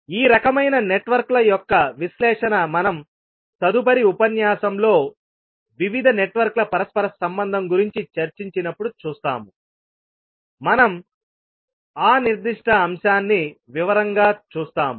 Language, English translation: Telugu, So analysis of these kind of networks we will see the next lecture when we discuss about the interconnection of various networks, we will see that particular aspect in detail